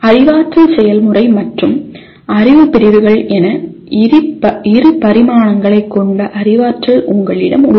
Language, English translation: Tamil, You have cognitive which has two dimensions namely cognitive process and knowledge categories